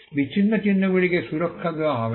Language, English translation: Bengali, Disparaging marks will not be granted protection